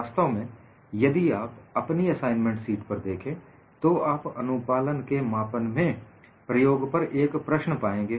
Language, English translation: Hindi, In fact, if you look at your assignment sheet, you have a problem from an experiment on the measurement of compliance